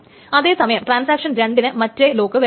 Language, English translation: Malayalam, So transaction 1 wants an exclusive lock